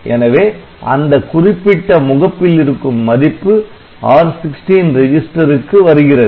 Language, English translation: Tamil, So, from this particular port the value will come to the register R16